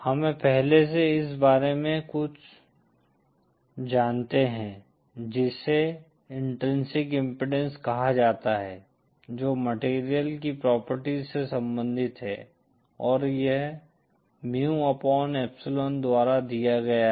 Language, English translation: Hindi, We have already got a hint of something called intrinsic impedance which is related to the property of the material, and that is given by mu upon epsilon